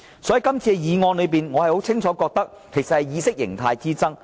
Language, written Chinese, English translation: Cantonese, 就今次的議案，我清楚感覺到只是意識形態之爭。, I can actually sense that the arguments over this very motion are ideological in nature